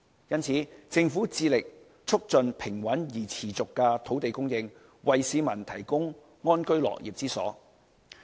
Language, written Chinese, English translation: Cantonese, 因此，政府致力促進平穩而持續的土地供應，為市民提供安居樂業之所。, Therefore the Government is committed to promoting stable and steady land supply for the provision of housing units to allow people living and working in contentment